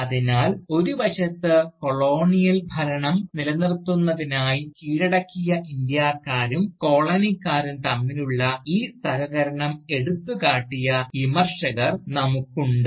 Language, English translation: Malayalam, So, on the one hand, we have Critics, who have highlighted this collaboration, between subjugated Indians, and the Colonisers, to sustain the Colonial rule